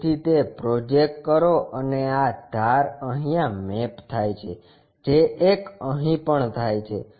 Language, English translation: Gujarati, So, project that and this edge map happens that one also happens